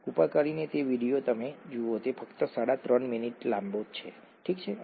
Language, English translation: Gujarati, Please see that video, it’s only about 3and a half minutes long, okay